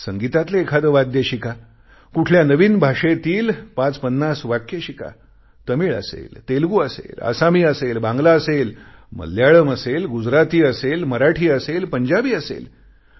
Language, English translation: Marathi, Learn a musical instrument or learn a few sentences of a new language, Tamil, Telugu, Assamese, Bengali, Malayalam, Gujarati, Marathi or Punjabi